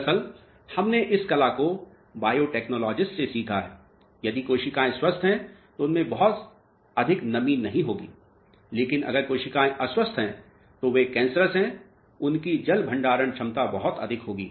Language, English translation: Hindi, Actually, we have learnt this art from biotechnologists, if the cells are healthy, they will not have much of moisture in them, but if cells are unhealthy, they are cancerous their water storage capacity will be much more